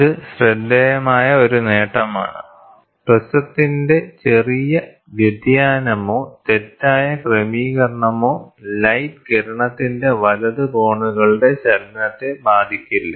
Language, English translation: Malayalam, This is a remarkable property, any slight deviation or misalignment of the prism does not affect the right angle movement of the light ray